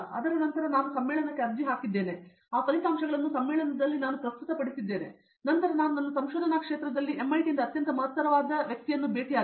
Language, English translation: Kannada, After that I applied those results to the conference, I presented those results through the conference then I met that the most eminent person in my research area from MIT